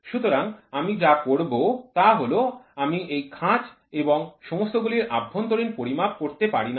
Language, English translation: Bengali, So, what I will do is I cannot measure the internal of these grooves and all